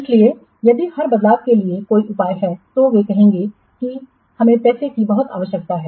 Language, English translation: Hindi, So if there is a for every change they will say that we require money very much difficult